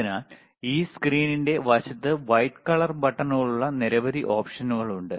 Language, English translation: Malayalam, So, there are several options on the on the side of this screen which are white colour buttons, right